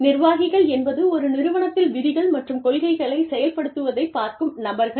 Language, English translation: Tamil, Administrators are people, who look at the implementation of rules and policies, in an organization